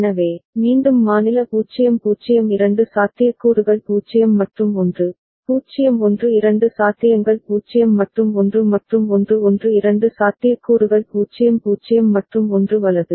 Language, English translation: Tamil, So, again for state 0 0 two possibilities 0 and 1, 0 1 two possibilities 0 and 1 and 1 1 two possibilities 0 0 and 1 right